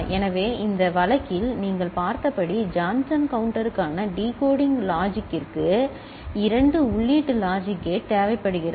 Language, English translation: Tamil, So, decoding logic for Johnson counter as you have seen in this case requires a two input logic gate